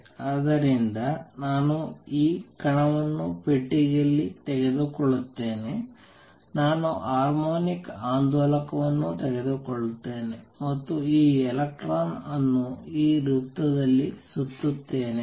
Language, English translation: Kannada, So, I will take this particle in a box, I will take the harmonic oscillator and I will take this electron going around in a circle here